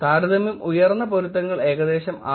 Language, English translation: Malayalam, The comparison highly matches were about 6